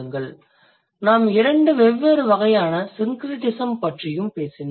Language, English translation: Tamil, And then we also talked about two different kinds of syncretism